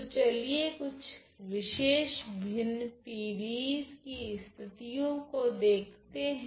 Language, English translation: Hindi, So, let us look at some particular cases of fractional PDE’s ok